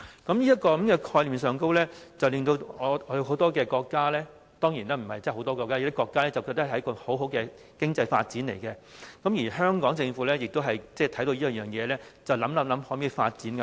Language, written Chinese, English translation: Cantonese, 當然也並非真的有很多國家，是有些國家認為這是很好的經濟發展機會，而香港政府也看見這業務的前景，便考慮是否也能在港發展。, Many countries―actually not really so many―have come to see many good chances of economic development in this kind of business . The Hong Kong Government also sees such prospects so it is considering the possibility of developing the business in Hong Kong